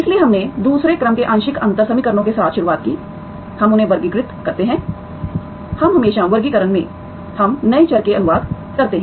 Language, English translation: Hindi, So we started with the second order partial differential equations, we classify them, we always, in the classification we translate into new variables